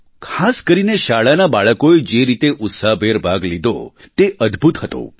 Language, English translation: Gujarati, The way the school children took part in the entire endeavor was amazing